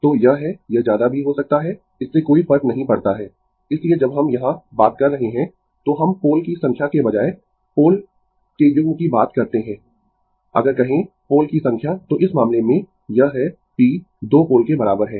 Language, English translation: Hindi, So, it is, it may be more also, it does not matter, so when we are talking here, we talk pair of poles instead of number of pole, if you say number of pole then in this case, it is p is equal to 2 pole